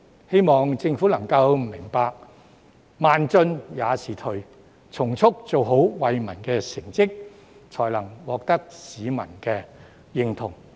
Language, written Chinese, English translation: Cantonese, 希望政府能明白"慢進也是退"，從速做出惠民的成績，才能獲得市民的認同。, I hope that the Government will understand that to advance too slowly is to retreat and make achievements for the benefit of the public expeditiously . Only by doing so can it gain public recognition